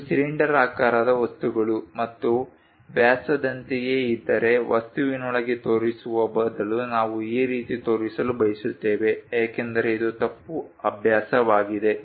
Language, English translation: Kannada, If it is something like cylindrical objects and diameter we would like to show instead of showing within the object this is wrong practice